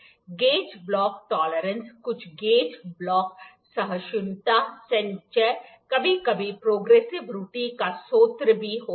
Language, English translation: Hindi, The gauge block tolerance is some gauge block tolerance accumulation is sometimes the also the source of the progressive error